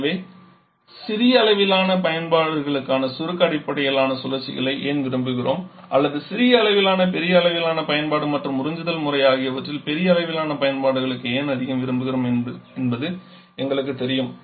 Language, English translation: Tamil, So, we know that why do we prefer the compression based cycles for small scale application of small to large scale application and absorption system more preferred for large scale applications